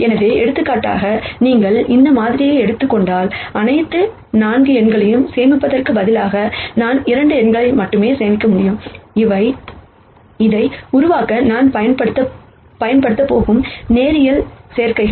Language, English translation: Tamil, So, for example, if you take this sample, instead of storing all the 4 numbers, I could just store 2 numbers, which are the linear combinations that I am going to use to construct this